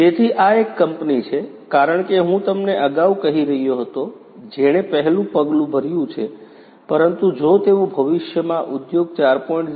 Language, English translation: Gujarati, So, this is a company as I was telling you earlier which has taken the first steps, but there is a long way to go if they are willing to adopt Industry 4